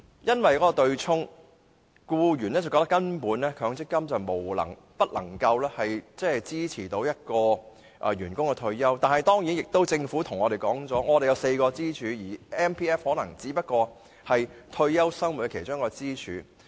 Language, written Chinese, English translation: Cantonese, 由於對沖的問題，僱員認為強積金根本不能支持僱員退休生活，但政府表示本港有4根支柱 ，MPF 只是退休生活的其中一根支柱。, We all consider it less than satisfactory . Given the offsetting mechanism employees consider they can hardly rely on MPF to support their retirement life . Yet the Government refers to the four pillars in Hong Kong and says that MPF is only one of the pillars for supporting retirement life